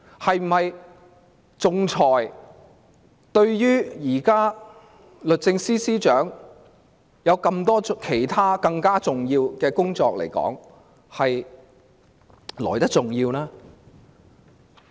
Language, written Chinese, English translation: Cantonese, 推廣仲裁是否比律政司司長眼前的其他工作更為重要？, Is promoting arbitration more important than handling other tasks expected of the Secretary for Justice?